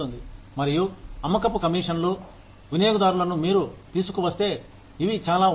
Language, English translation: Telugu, And, sales commissions, if you bring in, these many customers